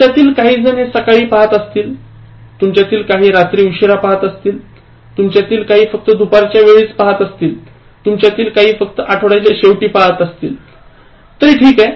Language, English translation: Marathi, Some of you are watching it early in the morning, some of you are watching it late at night, some of you are watching just during afternoon and some of you are watching only during weekends, that is fine